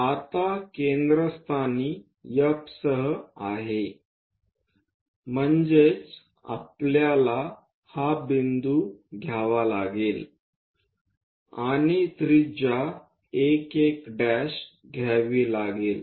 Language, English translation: Marathi, Now, with F as centre; that means, this point we have to take and radius 1 1 dash